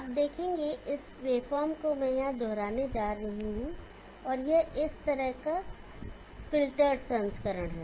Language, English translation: Hindi, You will see that this wave form I am going to repeat that here, and this is the filtered version of this